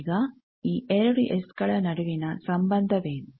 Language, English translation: Kannada, Now, what is the relation between the 2 S